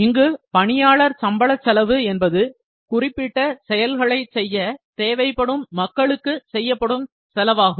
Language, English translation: Tamil, So, labour costs refer to the cost of the people required to perform specific activities